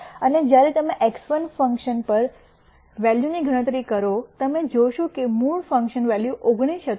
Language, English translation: Gujarati, And when you compute the function value at x 1 you notice that the original function value was 19